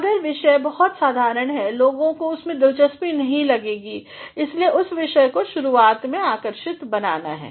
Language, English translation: Hindi, If, the topic is very plain naturally people would not take interest in it that is why the topic has to be made intriguing initially